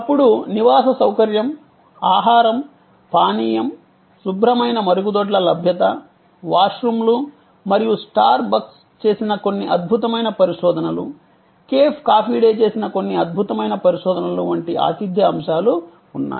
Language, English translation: Telugu, Then, there are hospitality elements like greetings, food, beverage, availability of clean toilets, washrooms and number of research like some excellent research done in by star bucks, some excellent research done by cafe coffee day here